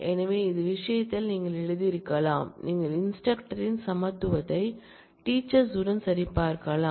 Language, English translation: Tamil, So, in this case you could have written, you could have checked for equality of instructor